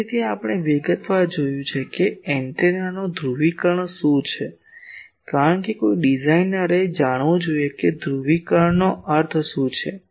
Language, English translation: Gujarati, Now, so we have seen in detail what is the polarisation of the antenna because a designer should be knowing what is exactly mean by polarisation